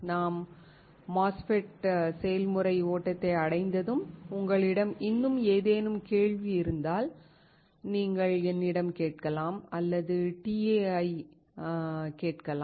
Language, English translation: Tamil, Once we reach MOSFET process flow and if you still have any question, you can ask me or ask the TA